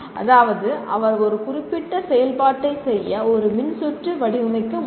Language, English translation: Tamil, That means he should be able to design a circuit to perform a certain function